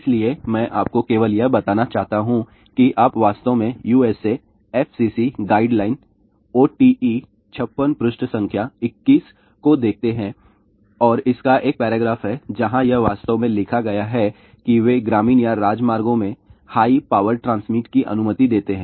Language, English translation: Hindi, So, I just want to tell you that you actually look at the USA FCC guideline OET 56 page number 21 and it has a one paragraph where it is actually written there that they allow high power transmission in the rural or along the highways